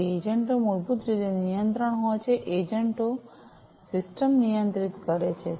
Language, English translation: Gujarati, So, the agents basically are control, you know, agents basically control the system